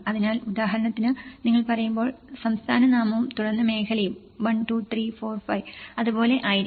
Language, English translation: Malayalam, So, for example when you say, the state name and then zone; 1, 2, 3, 4, 5, like that